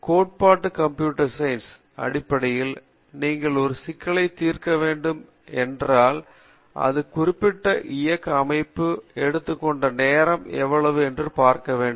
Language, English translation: Tamil, The theoretical computer science basically tells you that, if you want to solve such a problem what is it that you can expect, how much time it will take for a system to execute this particular, to solve this particular problem